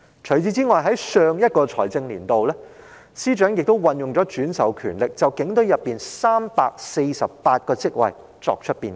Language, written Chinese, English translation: Cantonese, 此外，在上一財政年度，司長亦運用轉授權力，就警隊內348個職位作出變更。, In addition the Financial Secretary has also exercised the above delegated power in the last financial year to introduce changes to 348 posts within the Police Force